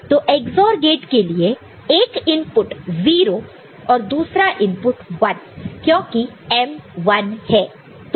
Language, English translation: Hindi, So, this XOR gate one of the input is 0 and the other input is 1 because of you know the M being 1